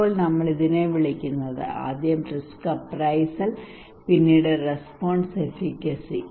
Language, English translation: Malayalam, Now what we call this one, first is risk appraisal then is response efficacy